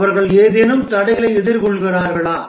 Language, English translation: Tamil, Are they facing any obstacles